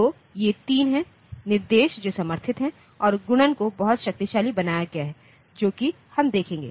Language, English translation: Hindi, So, these are the 3 instructions that are supported and the multiplication has been made every powerful so that we will see that